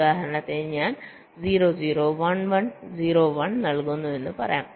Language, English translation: Malayalam, lets say i give zero, zero, one, one, zero one